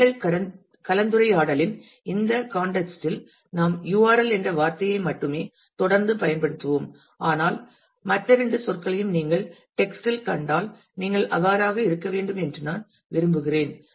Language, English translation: Tamil, In this context of our discussion we will continue to use the term URL only, but I just wanted you to be aware of the other two terms in case you come across them in the text